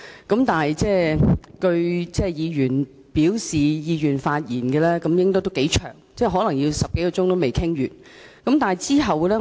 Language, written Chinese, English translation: Cantonese, 鑒於議員表示意願發言的名單頗長，可能10多小時也未能完成《條例草案》的各項程序。, Since a long list of Members have indicated a wish to speak it may take more than 10 hours to complete the various proceedings on the Bill